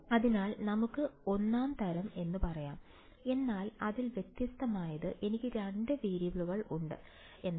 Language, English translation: Malayalam, So, we can say 1st kind , but what is different about it is that, I have 2 variables